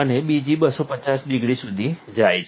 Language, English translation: Gujarati, And another goes to 250 degrees